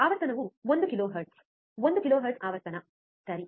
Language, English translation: Kannada, Frequency is one kilohertz, one kilohertz is a frequency, alright